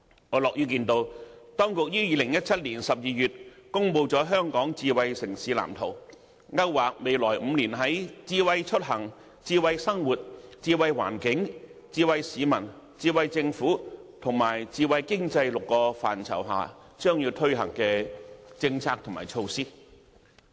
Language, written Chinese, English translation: Cantonese, 我樂見當局於2017年12月公布了《香港智慧城市藍圖》，勾劃未來5年在智慧出行、智慧生活、智慧環境、智慧市民、智慧政府及智慧經濟6個範疇將要推行的政策及措施。, I welcome the Smart City Blueprint for Hong Kong released by the authorities in December 2017 outlining the policies and measures to be launched in the next five years covering six areas namely Smart Mobility Smart Living Smart Environment Smart People Smart Government and Smart Economy